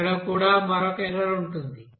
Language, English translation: Telugu, Here also there will be another error